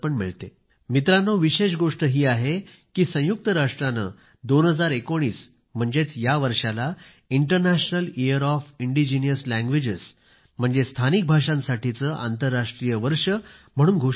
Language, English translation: Marathi, Friends, another important thing to note is that the United Nations has declared 2019 as the "International Year of Indigenous Languages"